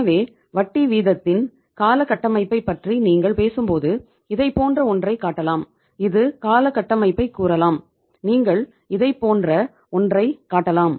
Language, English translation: Tamil, So when you talk about the term structure of interest rate you can show it something like this that you can have say the term structure you can show it something like this that